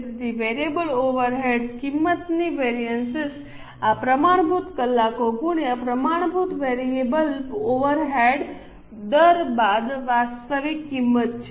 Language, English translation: Gujarati, So, variable overhead cost variance, this is standard hours into standard variable over rate minus actual cost